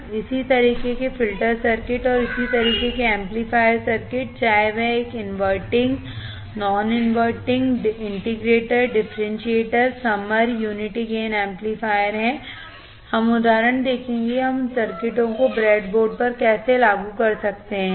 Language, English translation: Hindi, And similar kind of filter circuits and similar kind of this amplifier circuits, whether it is a inverting, non inverting, integrator, differentiator, summer right, unity gain amplifier, we will see the examples how we can implement those circuits on the breadboard